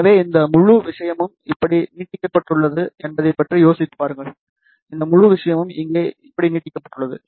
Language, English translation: Tamil, So, just think about that this whole thing is extended like this, and this whole thing is extended like this over here